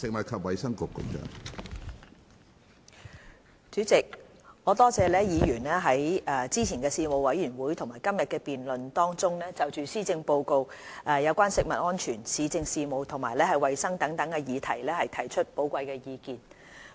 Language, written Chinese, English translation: Cantonese, 主席，我多謝議員在之前的事務委員會和今天的辯論中，就施政報告有關食物安全、市政事務和衞生等議題提出的寶貴意見。, President I thank Members for their valuable views on the Policy Address in respect of such issues as food safety municipal affairs and hygiene given earlier in the relevant panels and today during the debates